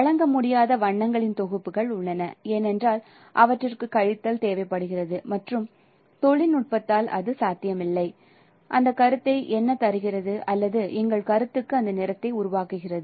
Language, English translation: Tamil, There are set of sets of colors which cannot be rendered because they require subtraction and which is not possible by the technology what is giving that perception or producing that color for our perception